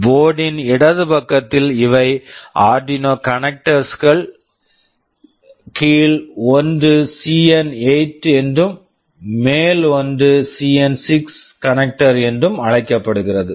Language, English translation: Tamil, On the left side of the board these are the Arduino connectors the lower one is called CN8, the upper one is called CN6 connector